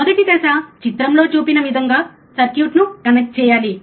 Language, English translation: Telugu, First step is connect the circuit as shown in figure